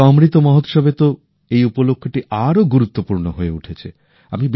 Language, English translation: Bengali, This time in the 'Amrit Mahotsav', this occasion has become even more special